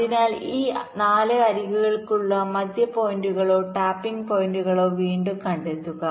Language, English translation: Malayalam, so again find out the middle points or the tapping points for these four edges